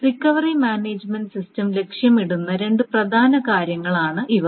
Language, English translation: Malayalam, So, these are the two important things that the recovery management system targets